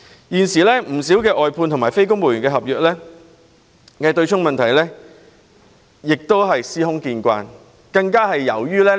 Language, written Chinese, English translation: Cantonese, 現時，政府外判員工和非公務員合約僱員強制金被對沖的問題非常普遍。, At present it is very common for the staff of outsourced government services or those on non - civil service contracts to see their MPF contributions falling prey to the offsetting mechanism